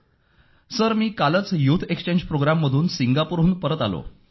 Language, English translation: Marathi, Sir, I came back from the youth Exchange Programme,